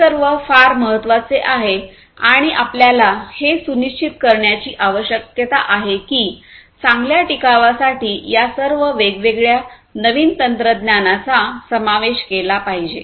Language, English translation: Marathi, So, these are very important and so, what we need to ensure is that all these different newer technologies should be included in order to have better sustainability